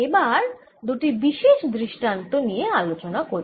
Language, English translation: Bengali, let's now look at two particular cases